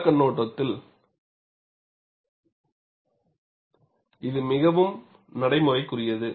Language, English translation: Tamil, It is very practical, from field point of view